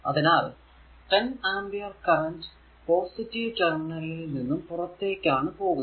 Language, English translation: Malayalam, So, 10 ampere current it is entering into this your, what you call this negative terminal of 6 volt